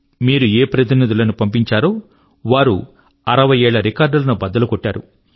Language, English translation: Telugu, The Parliamentarians that you elected, have broken all the records of the last 60 years